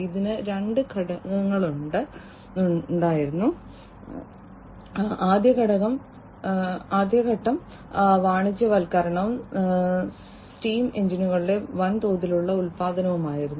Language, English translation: Malayalam, So, that was the industrial revolution it had two stages the first stage was the commercialization and the mass production of steam engines